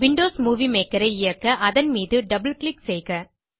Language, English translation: Tamil, Double click on the Windows Movie Maker, icon to run it